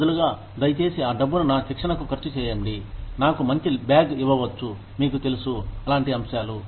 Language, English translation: Telugu, Instead, please spend that money, may be on my training, maybe give me a nice bag, may be, you know, stuff like that